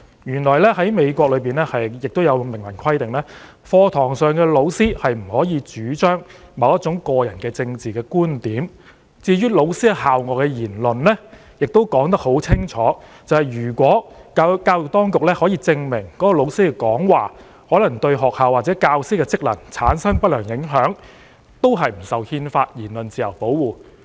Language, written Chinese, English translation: Cantonese, 原來美國明文規定，教師不能在課堂上主張某種個人政治觀點；亦清楚訂明，關於教師在校外的言論，如教育當局能證明教師的講話可能對學校或教師的職能產生不良影響，有關教師便不受憲法下的言論自由保護。, It turns out that the United States has expressly stipulated in writing that teachers cannot advocate any personal political belief in class . It is also explicitly stated that regarding comments made by teachers outside the school campus if the education authorities can prove that a teachers remarks may cause undesirable impact on the functions of schools or teachers the teacher concerned will not be protected by freedom of speech under the Constitution